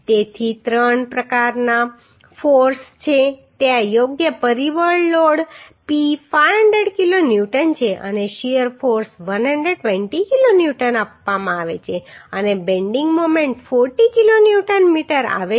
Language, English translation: Gujarati, So three type of forces are there right factor load P is 500 kilo Newton and shear force is given 120 kilo Newton and bending moment is coming 40 kilo Newton metre